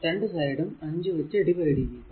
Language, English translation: Malayalam, Both side actually divided by 5